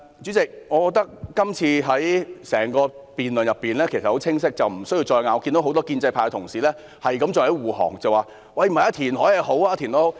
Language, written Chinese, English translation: Cantonese, 主席，我認為事實很清晰，大家不用再爭辯，但很多建制派議員還在為政府護航，說填海是好事。, President I think the facts are so clear that further argument is unnecessary . However many pro - establishment Members still defend the Government by saying that reclamation is good